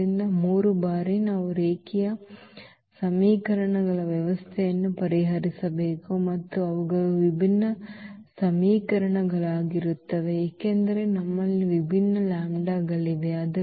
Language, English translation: Kannada, So, for 3 times we have to solve the system of linear equations and they will be different equations because we have the different lambda